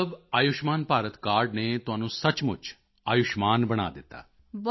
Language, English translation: Punjabi, So the card of Ayushman Bharat has really made you Ayushman, blessed with long life